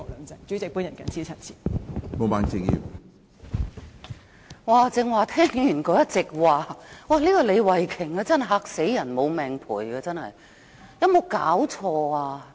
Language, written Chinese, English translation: Cantonese, 主席，剛才聽了李慧琼議員的一席話，她真的"嚇死人無命賠"，有沒有搞錯？, President just now I heard the speech of Ms Starry LEE . How scary it was! . She was simply talking nonsense